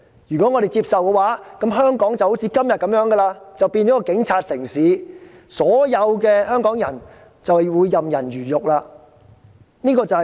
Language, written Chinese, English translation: Cantonese, 如果我們接受，香港便會繼續像今天般淪為警察城市，所有香港人便會任人魚肉。, If we turn a blind eye to them Hong Kong will remain as a police city and everyone in Hong Kong will be put on the chopping block